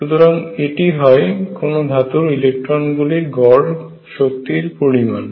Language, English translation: Bengali, So, this is the average energy of electrons in a metal